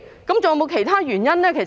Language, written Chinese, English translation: Cantonese, 是否還有其他原因呢？, Was there any other reason?